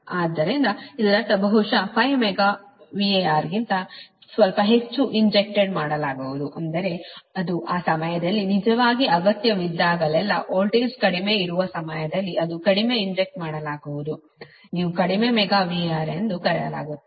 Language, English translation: Kannada, so that means slightly more than perhaps four megavar will be injected, right, that means whenever it is needed, actually at the time, because the voltage is low at the time, it injects less, your, what you call less megavar